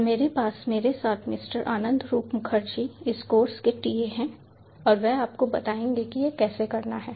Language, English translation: Hindi, i have with me ah mister anand rao mukharji, the ta of the course, and he will explain to you how to do this hands on